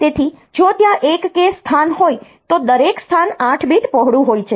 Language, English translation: Gujarati, So, if there are one kilo location and each location is 8 bit wide fine